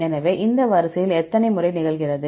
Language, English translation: Tamil, So, how many times A occurs in this sequence